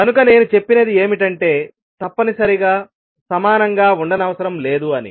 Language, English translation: Telugu, So, what I should say is not necessarily equal to